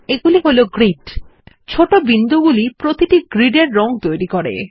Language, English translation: Bengali, The small dots make up the color in each grid